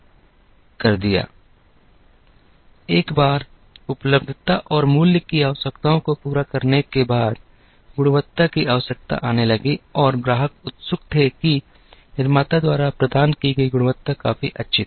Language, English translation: Hindi, Now, once the availability and price requirements are met, the quality requirement started coming and the customer was keen that, the quality provided by the manufacturer was good enough